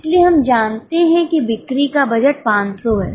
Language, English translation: Hindi, So, we know that budgeted sales are 500